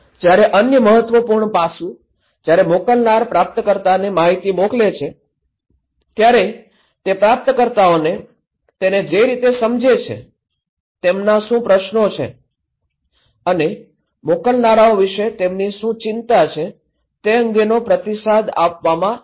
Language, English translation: Gujarati, Another important aspect, when sender is sending informations to receiver, receiver will be same time able to feedback what they understand, what are the questions, concerns they have to the senders